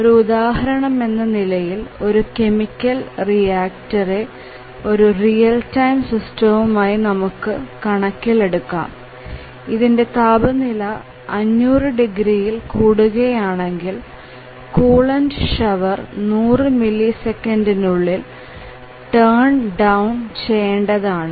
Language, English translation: Malayalam, Just to give an example of a real time system let us say that in a chemical reactor if the temperature exceeds 500 degrees, then the coolant shower must be turned down within 100 milliseconds